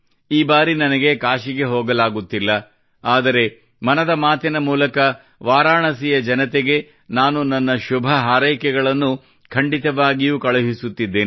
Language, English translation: Kannada, This time I'll not be able to go to Kashi but I am definitely sending my best wishes to the people of Banaras through 'Mann Ki Baat'